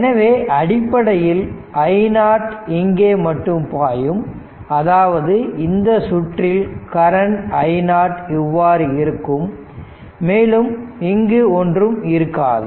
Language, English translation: Tamil, So, basically I 0 will be flowing only here, so that means, circuit will be this current I 0 will be like this because this is also then this is also will not be there